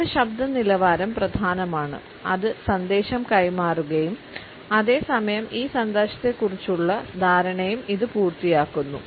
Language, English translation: Malayalam, Our voice quality is important it conveys the message and at the same time it also compliments the understanding of this message